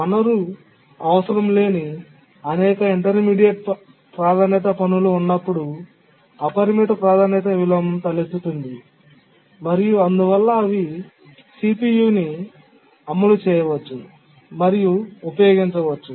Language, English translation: Telugu, But then the unbounded priority inversion arises when there are many intermediate priority tasks which are not needing the resource and therefore they can execute and use the CPU